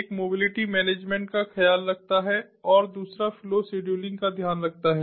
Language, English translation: Hindi, one takes care of mobility management and the other one takes care of flow scheduling